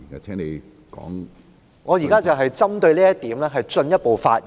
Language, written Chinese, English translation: Cantonese, 主席，我現正針對此論點進一步發言。, President I am making further remarks on this point